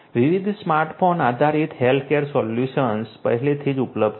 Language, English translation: Gujarati, Different smart phone based healthcare solutions are already available